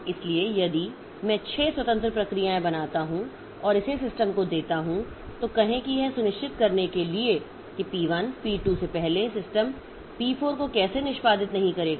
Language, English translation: Hindi, So, if I create six in different processes and give it to the system, then say how to ensure that system will not execute P4 before P1, P2